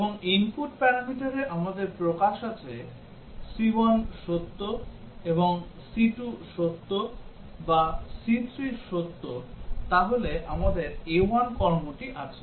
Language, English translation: Bengali, And we have expression on the input parameter c1 is true and c2 is true or c3 is true then we have action A1